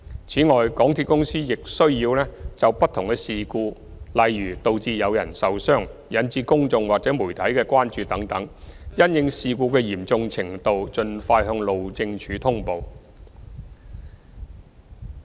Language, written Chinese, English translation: Cantonese, 此外，港鐵公司亦須就不同事故，例如導致有人受傷、引致公眾或媒體的關注等事故，因應其嚴重程度盡快向路政署通報。, Moreover MTRCL should also report various incidents to HyD according to their severity such as injuries of personnel and incidents which may cause public or media concerns